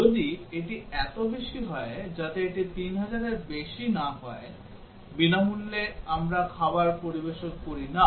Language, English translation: Bengali, If it is so as long as it is not more than 3000, we do not serve free meal